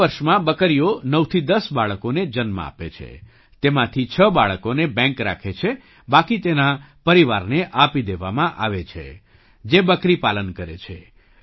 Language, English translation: Gujarati, Goats give birth to 9 to 10 kids in 2 years, out of which 6 kids are kept by the bank, the rest are given to the same family which rears goats